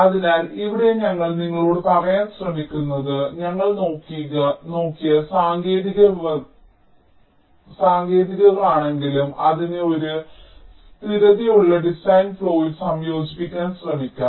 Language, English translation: Malayalam, ok, so here what we are trying to tell you is that whatever techniques we have looked at, let us try to combine it in a consistent design flow